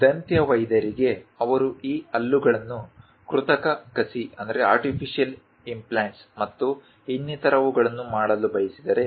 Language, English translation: Kannada, For a dentist, if he wants to make these teeth, artificial implants and so on